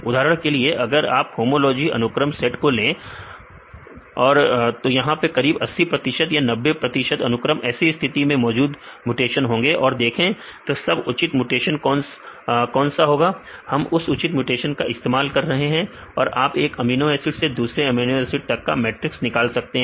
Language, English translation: Hindi, For example, if you take the set of homology sequences say about 80 percent or 90 percent sequences in this case there will be several mutations and see what is the most proper mutations we using this proper mutations you can derive a matrix from one amino acid to another amino acid